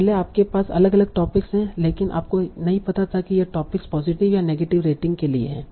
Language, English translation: Hindi, Earlier you had different topics but you did not know whether this topic is for a positive or negative rate